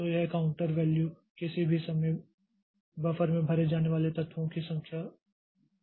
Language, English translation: Hindi, So, this counter value at any point of time it holds the number of elements that are filled in the buffer